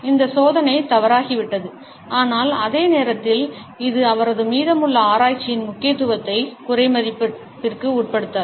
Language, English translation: Tamil, This experiment had gone wrong, but at the same time this does not undermine the significance of the rest of his research